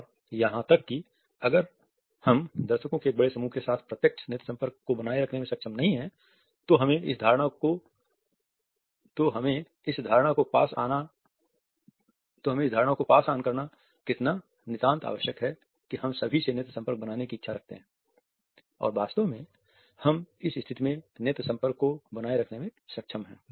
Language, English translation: Hindi, And even if we are not able to maintain a direct eye contact with a large audience, it is absolutely essential to pass on this impression that we have this desire to maintain this eye contact and in fact, we are maintaining this eye contact in the given situation